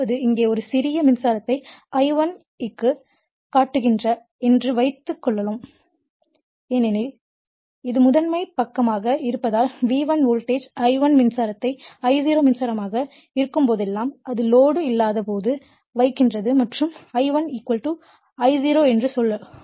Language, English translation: Tamil, That means, here it will sets up the magnitude suppose a small current here it is showing the I1 because it is primary side you are putting V1 voltage I1 current whenever it is I0 current when it is at no load right and that time I1 = say I0